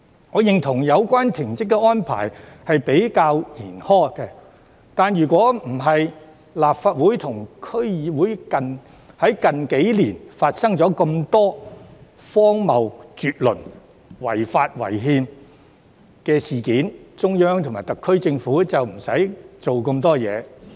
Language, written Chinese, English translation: Cantonese, 我認同有關停職安排較為嚴苛，但若不是立法會及區議會在近年發生這麼多荒謬絕倫及違法違憲的事件，中央及特區政府也無須採取這些行動。, I agree that the relevant suspension arrangement is rather harsh . However if it were not for the many ridiculous and unconstitutional incidents happened in the Legislative Council and DCs in recent years the Central Government and the SAR Government would not have had to take these actions